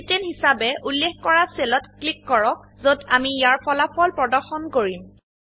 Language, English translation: Assamese, Lets click on the cell referenced as C10 where we will be displaying the result